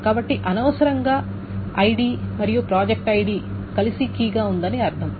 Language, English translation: Telugu, So which means that the ID and project ID together the key is redundant